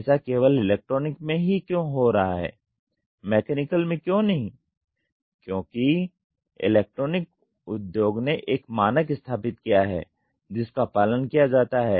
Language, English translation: Hindi, Why is this happening only in electronic not in mechanical is because the electronic industry has established a standard which has to be followed